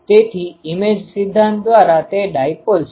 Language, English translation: Gujarati, So, that by image theory it is the dipole